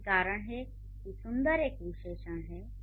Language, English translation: Hindi, So, that is why beautiful is an adjective